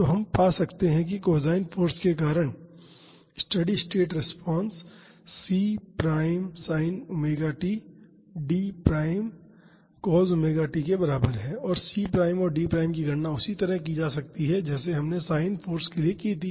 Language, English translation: Hindi, So, we can find the steady state response due to the cosine force is equal to C prime sin omega t D prime cos omega t and C prime and D prime can be calculated in the similar way we did for sin force